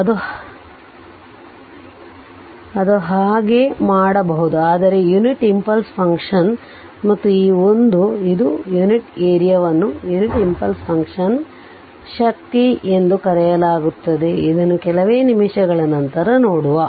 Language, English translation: Kannada, And this 1 we will see later it is unit area it is called the strength of the your unit impulse function we will see just after few minutes